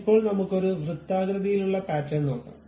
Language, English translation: Malayalam, Now, let us look at circular kind of pattern